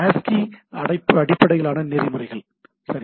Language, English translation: Tamil, ASCII based protocols right